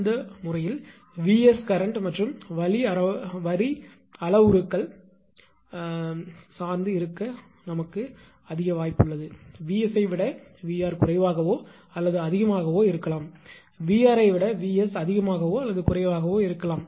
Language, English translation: Tamil, In that case there is a possibility that VS maybe maybe depends on the current and line parameters; VS maybe less than or greater than VR also; either way it is true